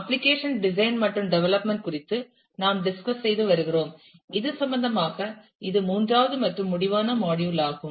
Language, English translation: Tamil, We have been discussing about application design and development and this is the third and concluding module in that regard